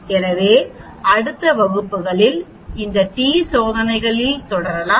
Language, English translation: Tamil, So we will continue on these t tests in the next class also